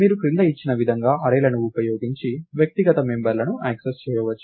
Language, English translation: Telugu, You can access the individual members using arrays as as given below